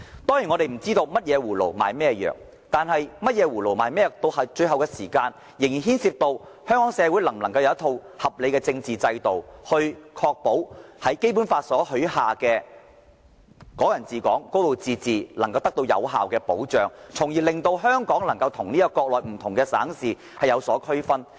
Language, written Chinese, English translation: Cantonese, 當然，我們不知道甚麼葫蘆賣甚麼藥，但到了最後，這仍牽涉到香港社會能否有一套合理的政治制度，確保《基本法》中有關"港人治港"、"高度自治"的承諾能夠得到有效保障，令香港與國內不同省市能有所區分。, Of course we have no idea about what the trick up their sleeve is but in the end it still concerns whether a reasonable political system can be established in Hong Kong to ensure effective protection of the promises of Hong Kong people administering Hong Kong a high degree of autonomy under the Basic Law so that there will be differences between Hong Kong and other provinces and municipalities in the Mainland